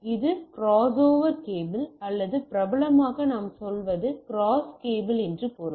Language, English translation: Tamil, So, that is a crossover cable or popularly what we say cross cable right we require a cross cable means there is